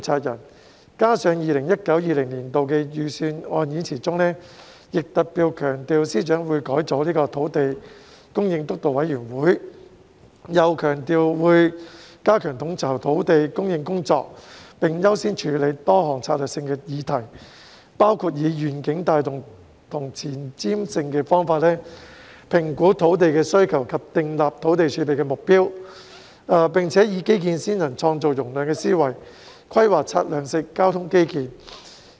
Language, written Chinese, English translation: Cantonese, 此外，司長在 2019-2020 年度的預算案演辭中特別強調，會改組土地供應督導委員會，又強調會"加強統籌土地供應工作，並優先處理多項策略性議題，包括以願景帶動和前瞻性的方法，評估土地需求及訂立土地儲備目標，和以基建先行、創造容量的思維，規劃策略性交通基建。, Also in the 2019 - 2020 Budget Speech FS particularly stressed that the Steering Committee would be restructured and highlighted that he would strengthen the coordination of land supply . Priority will be accorded to a number of strategic issues . These included using a vision - driven and forward - looking approach in realizing our vision reassessing our land demand and setting the target of land reserve and adopting an infrastructure - led and capacity building mindset in planning strategic transport infrastructure